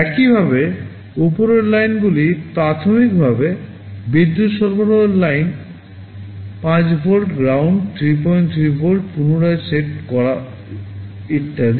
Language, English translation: Bengali, Similarly, the upper lines are primarily power supply lines, 5 volt, ground, 3